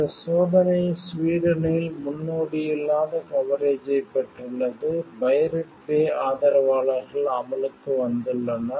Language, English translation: Tamil, The trial has received unprecedented coverage in Sweden, pirate bay supporters have come out in force